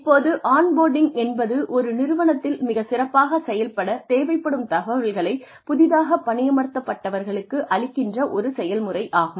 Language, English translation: Tamil, Now, on boarding is a process, that provides new employees with the information, they need to function effectively in an organization